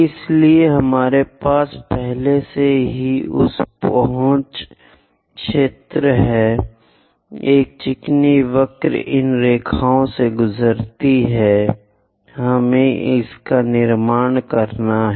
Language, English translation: Hindi, So, already we have that converse zone; a smooth curve pass through these lines, we have to construct